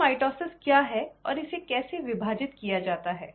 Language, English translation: Hindi, So, what is mitosis and how is it divided